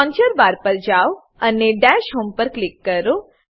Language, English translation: Gujarati, Lets go to the launcher bar and click on Dash Home